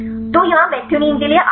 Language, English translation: Hindi, So, here arginine to methionine